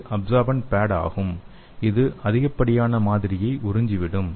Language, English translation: Tamil, And this one is absorbent pad it will absorb the excess sample